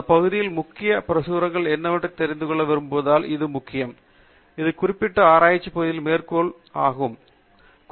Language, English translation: Tamil, This is important because you may want to know what are all the most refereed publications in this area, what are the so called citation classics in this particular research area